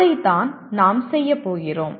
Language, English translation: Tamil, That is what we are going to do that